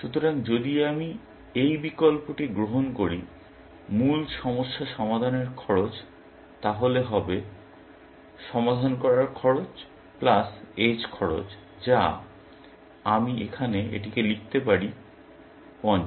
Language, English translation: Bengali, So, the cost of solving the original problem, if I take this option, would be the cost or solving this plus the edge cost which is, I can write this here; 50